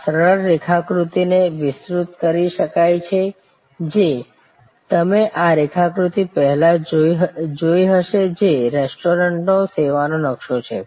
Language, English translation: Gujarati, This simple diagram can be elaborated, which you have seen this diagram before, which is the service blue print of a restaurant